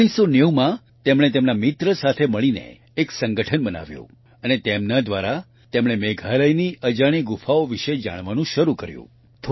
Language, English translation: Gujarati, In 1990, he along with his friend established an association and through this he started to find out about the unknown caves of Meghalaya